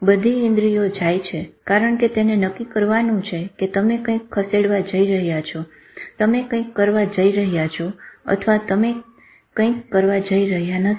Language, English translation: Gujarati, All senses go because it has to decide whether you are going to move, you are going to do something or you are not going to do something